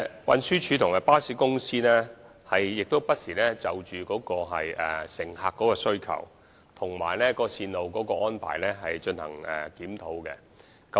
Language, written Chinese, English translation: Cantonese, 運輸署和巴士公司不時就乘客的需求和線路的安排進行檢討。, TD and the bus companies will review from time to time the demands of passengers and the arrangements for bus routes